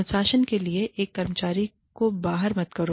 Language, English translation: Hindi, Do not single out an employee, for discipline